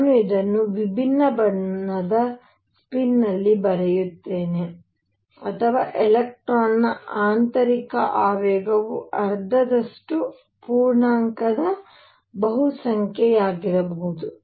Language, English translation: Kannada, Let me write this in different colour spin, or intrinsic momentum of electron could be half integer multiple of h cross